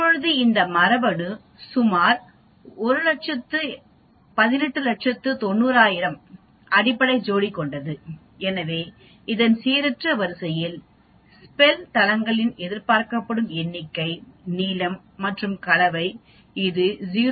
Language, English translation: Tamil, Now this genome is about 1890000 base pair, so the expected number of Spel sites in a random sequence of this length and composition will be this 0